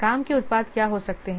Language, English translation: Hindi, What could be the work products